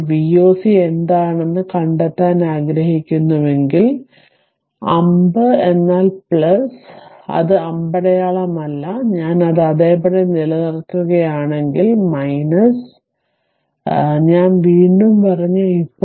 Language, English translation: Malayalam, Now, if you want to find out what is V o c, then arrow means plus and it is not no arrow means if I just keep it as it is it is minus and I told you again and again